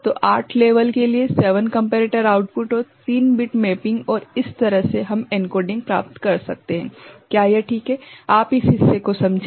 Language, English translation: Hindi, So, 8 level, 7 comparator output and 3 bit mapping and this way we can get the encoding done is it fine, you understand this part